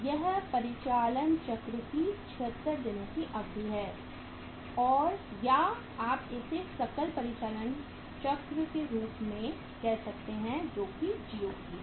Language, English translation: Hindi, This is 76 days duration of the operating cycle or you can call it as the gross operating cycle that is DOC